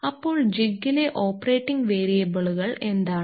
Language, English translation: Malayalam, So, what are the operating variables in a jig